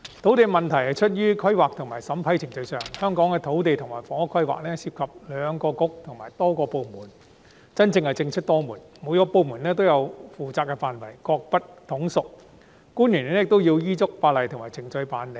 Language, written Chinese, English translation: Cantonese, 土地問題出於規劃及審批程序上，香港的土地及房屋規劃涉及兩個政策局和多個部門，真的是政出多門，每個部門都有其負責的範圍，各不統屬，官員亦要依足法例及程序辦事。, The land issue stems from the planning and approval procedures . Land and housing planning in Hong Kong involves two Policy Bureaux and multiple departments and there is fragmentation of responsibilities . Each department has its own responsibilities and is not subordinate to one another and all officials have to work in accordance with the laws and procedures